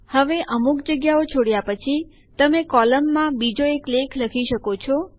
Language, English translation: Gujarati, Now after leaving out some spaces you can write another article into the column